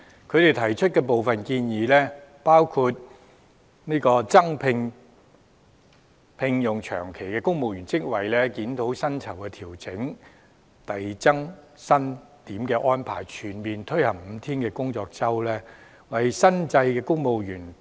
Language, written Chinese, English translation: Cantonese, 他們提出的部分建議，包括"增加長期聘用職位"、"檢討目前公務員薪酬調整機制下，扣減遞增薪額開支的安排"、"全面推行五天工作周"、"為新制公務員......, Part of their recommendations include increasing the number of permanent posts reviewing the deduction of payroll cost of increments arrangement under the pay adjustment mechanism of the civil service comprehensively implementing five - day week providing post - retirement medical and dental benefits for civil servants under the new scheme and enhancing and promoting digital government services . I agree with them in principle